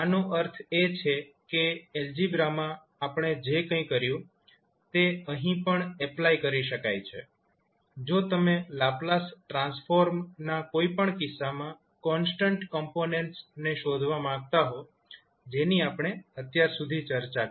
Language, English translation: Gujarati, That means that whatever did in Algebra, the same can be applied here also, if you want to find out the, the constant components in any case of the Laplace Transform, which we discussed till now